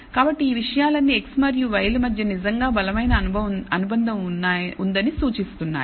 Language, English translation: Telugu, So, all of these things it is indicating that there is a really strong association between x and y